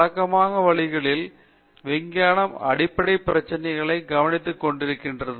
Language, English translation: Tamil, Science in the conventional way we were looking at the basic problems